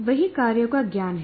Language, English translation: Hindi, That is knowledge of the tasks